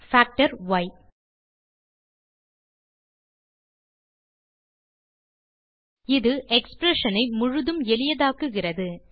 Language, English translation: Tamil, f.simplify full() This simplifies the expression fully